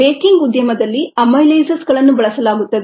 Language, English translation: Kannada, in the baking industry, amylases are used